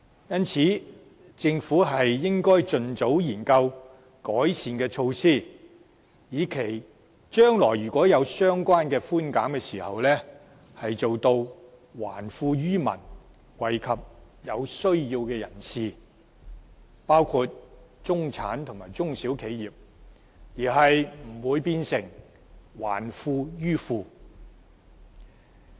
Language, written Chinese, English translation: Cantonese, 因此，政府應盡早研究改善的措施，以期將來如果有相關的寬減時做到還富於民，惠及有需要的人士，包括中產人士和中小企，而不會變成"還富於富"。, Therefore the Government should expeditiously explore ways to make improvements so that if rates concession measure is to be implemented in future it will return wealth to the public and benefit the needy including the middle class and SMEs instead of returning wealth to the rich